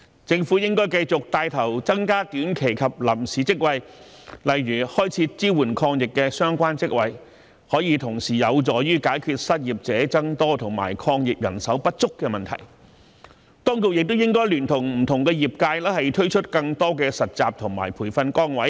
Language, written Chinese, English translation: Cantonese, 政府應該繼續帶頭增加短期及臨時職位，例如開設支援抗疫的相關職位，便可同時有助解決失業者增加及抗疫人手不足的問題；當局亦應該聯同不同業界推出更多實習及培訓崗位。, The Government should continue to take the lead in increasing the number of short - term and temporary posts such as by creating posts related to anti - epidemic work which can help solve both the problems of the increasing number of the unemployed and the manpower shortage in the fight against the epidemic at the same time . The authorities should also work with different industries to provide more internship and training positions